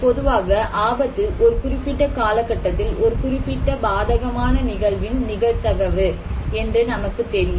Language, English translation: Tamil, Now, risk in general, we know the probability of a particular adverse event to occur during a particular period of time